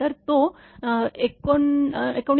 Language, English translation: Marathi, So, it is 19